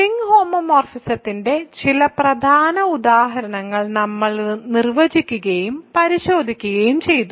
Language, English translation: Malayalam, So, we have defined and looked at some important examples of ring homomorphisms